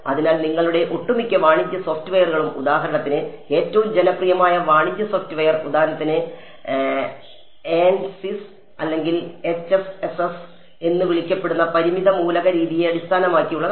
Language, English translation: Malayalam, So, your a lot of your commercial software for example, the most popular commercial software is for example, ANSYS or HFSS which is called it is based on the finite element method